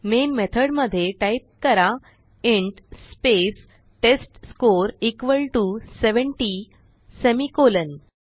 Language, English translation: Marathi, So inside the Main method, type int space testScore equal to 70 semicolon